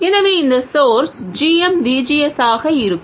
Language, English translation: Tamil, So, this source will be GM VGS